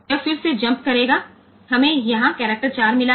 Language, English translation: Hindi, Then it will again jump to so, we have got the character 4 here